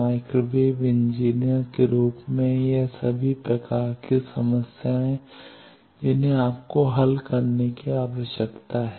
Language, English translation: Hindi, That is all these type of problems as a microwave engineer you need to solve